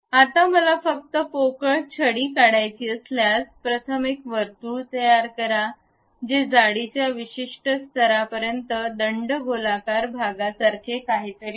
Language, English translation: Marathi, Now, if I would like to really construct only hollow cane, what we have to do is, first create a circle give something like a cylindrical portion up to certain level of thickness